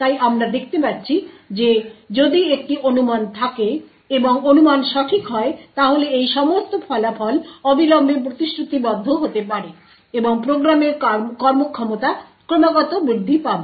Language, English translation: Bengali, So does we see that if there is a speculation and the speculation is correct then of all of these results can be immediately committed and the performance of the program would increase constantly